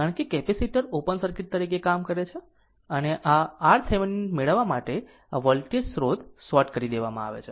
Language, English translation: Gujarati, Because, capacitor is acting as open circuit right and this for getting R Thevenin, this voltage source will be shorted right